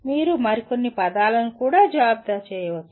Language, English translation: Telugu, You can also coin some more words